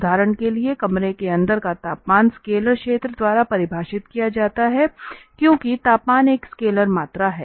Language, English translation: Hindi, For instance the temperature inside the room is defined by the scalar field because temperature is a scalar quantity